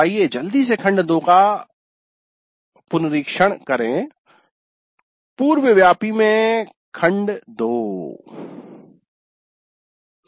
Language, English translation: Hindi, So let us quickly have a recap of the module 2